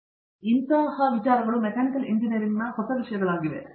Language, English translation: Kannada, So, these are new things which have come into Mechanical Engineering